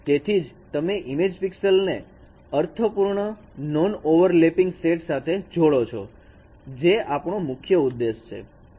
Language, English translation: Gujarati, So it is a connected image pixels into meaningful non overlapping sets that is what is our objective